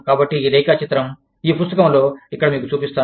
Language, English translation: Telugu, So, i will show you, this diagram, in this book, here